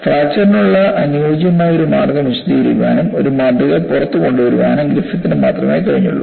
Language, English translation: Malayalam, And, only with this Griffith was able to find out a suitable way of explaining and coming out with a model for fracture